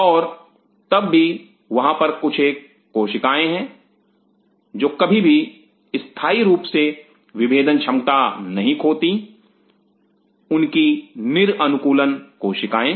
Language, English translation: Hindi, And yet there are certain cells which does not lose it permanently that differentiated potential their de adaptive cells